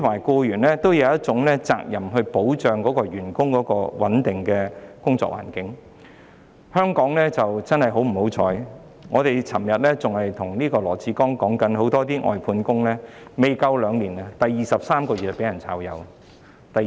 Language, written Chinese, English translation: Cantonese, 僱主有責任保障員工有一個穩定的工作環境，很不幸，正如我們昨天告訴羅致光，香港有很多外判員工在工作差不多兩年時，在第二十三個月被解僱。, Employers have the duty to ensure a stable working environment for employees . Unfortunately as we told Dr LAW Chi - kwong yesterday in Hong Kong many outsourced workers approaching two years of service were dismissed in their 23 month of employment